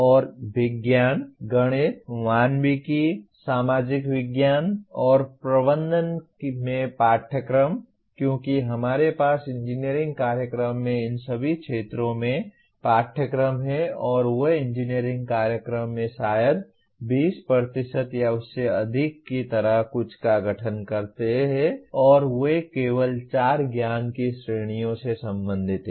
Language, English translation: Hindi, And courses in sciences, mathematics, humanities, social sciences and management, because we have courses in all these areas in an engineering program and they do constitute something like about maybe 20% or even more in an engineering program and they are concerned with only four categories of knowledge